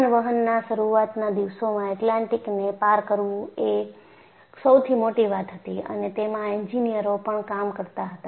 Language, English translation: Gujarati, So, in the early days of aviation, crossing the Atlantic was one of the biggest challenges,and there were also engineers who were working